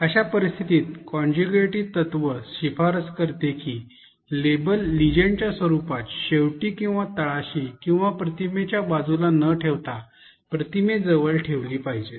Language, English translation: Marathi, In such cases contiguity principle recommends that the labels be placed close to the image rather than at the end or the bottom or the side of the image in the form of legend